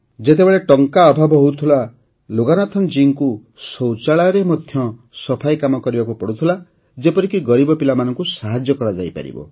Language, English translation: Odia, When there was shortage of money, Loganathanji even cleaned toilets so that the needy children could be helped